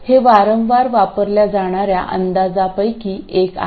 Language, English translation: Marathi, This is one of the approximations that is frequently used